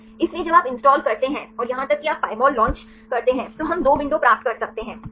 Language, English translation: Hindi, So, when you install and even you launch Pymol, we can get 2 windows, right